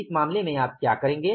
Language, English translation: Hindi, In this case what will you do